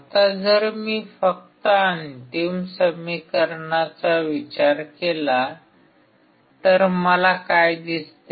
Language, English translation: Marathi, Now, if I only consider the final equation what do I see